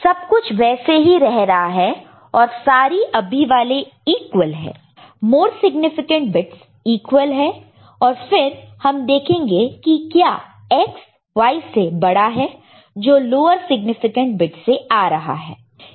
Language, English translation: Hindi, So, everything is remaining same then all current ones are equal; more significant bits are equal, then you look at whether X is greater than Y that is coming from the lower stage lower significant you know, bit